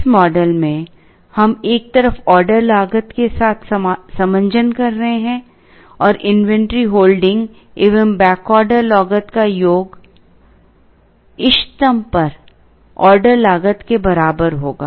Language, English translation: Hindi, In this model, we are trading off with order cost on one side and inventory holding plus back order cost together will be equal to the order cost at the optimum